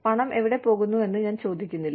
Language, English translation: Malayalam, I would not ask you, where the money is going